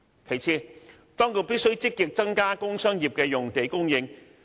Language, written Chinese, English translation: Cantonese, 其次，當局必須積極增加工商業的用地供應。, Also the Government should actively increase the supply of industrial and commercial sites